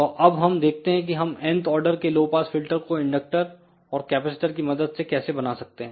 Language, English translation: Hindi, So, let us see how we can realize a n th order low pass filter using inductors and capacitors